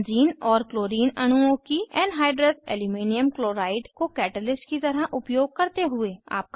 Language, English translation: Hindi, Benzene and Chlorine molecule with Anhydrous Aluminum Chloride as a catalyst